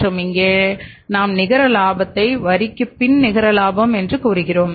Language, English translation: Tamil, For example this is your profit and loss account and here we calculate the net profit to net profit after tax